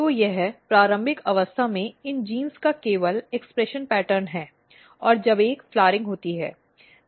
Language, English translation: Hindi, So, this is just expression pattern of these genes at early stage and when there is a flowering